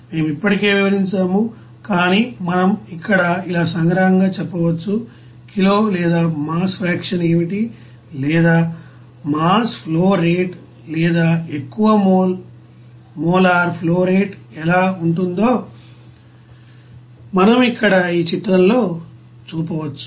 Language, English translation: Telugu, We have already described, but still we can summarize here as like this, what would be the kg or mass fraction or what would be the mass flow rate or you know more mole molar flow rate like this we can you know represent here in this figure